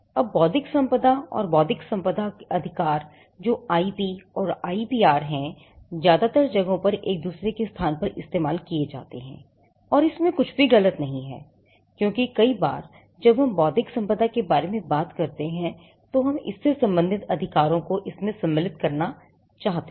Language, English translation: Hindi, Now intellectual property and intellectual property rights that is IP and IPR are in most places used interchangeably and there is nothing wrong with that, because many a times when we talk about intellectual property we also want to cover or encompass the corresponding rights